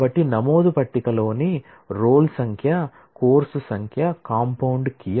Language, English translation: Telugu, So, the roll number, course number in the enrolment table is a compound key